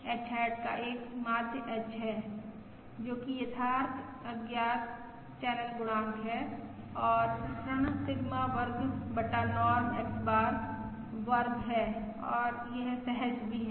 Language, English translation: Hindi, H hat has a mean of H, which is the true unknown channel coefficient, and the various is Sigma square divided by Norm X bar square